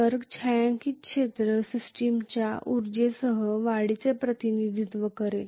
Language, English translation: Marathi, So the shaded area actually represents increase in co energy of the system